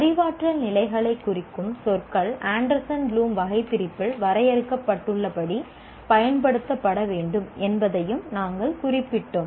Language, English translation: Tamil, We also noted the words representing the cognitive levels are to be used as defined in Anderson Bloombe taxonomy